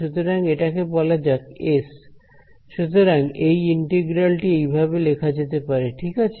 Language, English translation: Bengali, So, let us call this S, so this integral can be of this form ok